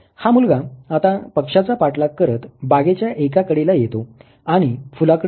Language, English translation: Marathi, This boy now after now chasing the bird goes to a corner of the park and looks at the flower